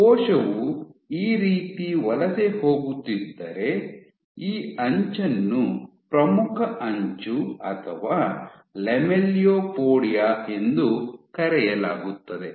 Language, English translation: Kannada, So, at the edge of the; so if the cell is migrating this way, then this edge is called the leading edge or Lamelliopodia